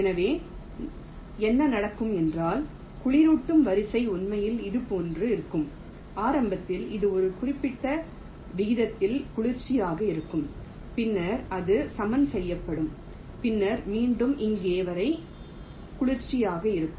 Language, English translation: Tamil, so what will happen is that the cooling sequence will actually the like this: initially it will be cooling at a certain rate, then it will be leveling up, then again it will cooling until here